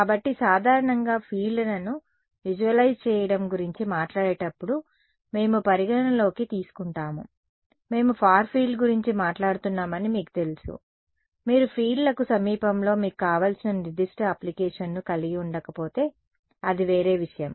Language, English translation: Telugu, So, usually we are considering we when the talk about visualizing fields you know we are talking about far field unless you have a specific application where you want near fields, then that is a different thing